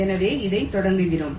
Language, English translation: Tamil, so we start with this